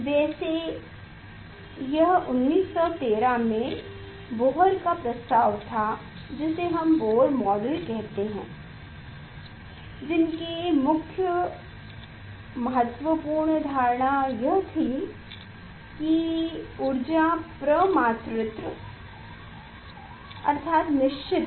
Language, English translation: Hindi, anyway, there in 1913, that was the proposal of Bohr that we tell the Bohr model and their main important assumption was that the energy is quantized